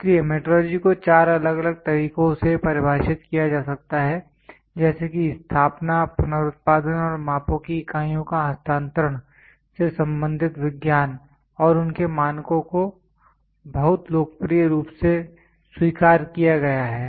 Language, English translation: Hindi, So, metrology can be defined by four different ways the science concerned with the establishment, reproduction and transfer of units of measurements and their standards is very popularly accepted